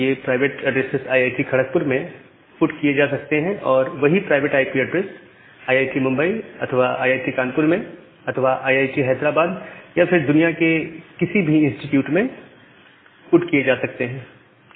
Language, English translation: Hindi, So, the private IP addresses can be put inside a IIT, Kharagpur at the same block of private IP addresses can be put in IIT Bombay or IIT Kanpur or IIT Hyderabad or any other institute in the globe